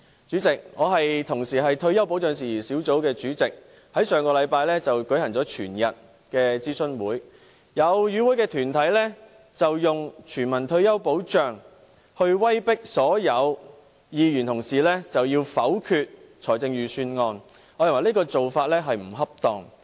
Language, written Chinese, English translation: Cantonese, 主席，我同時是退休保障事宜小組委員會主席，我們在上星期舉行了全天的諮詢會，有與會團體以全民退休保障來威迫所有議員否決財政預算案，我認為這種做法並不恰當。, President I am also the Chairman of the Subcommittee on Retirement Protection . During our all - day - long consultation session last week certain organizations in attendance tried to use the issue of universal retirement protection to force all Members to vote down the Budget . In my view this is not appropriate